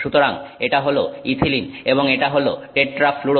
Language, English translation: Bengali, So, this is ethylene and this is tetrafluoroethylene